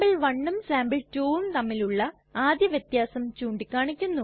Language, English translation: Malayalam, As we can see the first difference between the two files sample1 and sample2 is pointed out